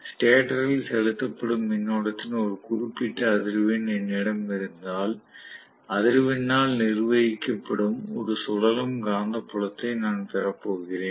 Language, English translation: Tamil, If I have a particular frequency of current injected into the stator, I am going to get a revolving magnetic field which is governed by the frequency